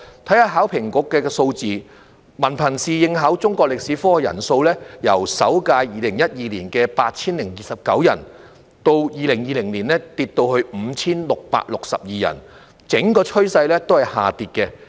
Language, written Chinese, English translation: Cantonese, 看看考評局的數字，文憑試應考中國歷史科的人數，由首屆2012年的 8,029 人，到2020年下跌至 5,662 人，整個趨勢是下跌的。, Let us look at the figures of the Hong Kong Examinations and Assessment Authority . The number of students taking Chinese History in the first Hong Kong Diploma of Secondary Education Examination dropped from 8 029 in 2012 to 5 662 in 2020 showing an overall downward trend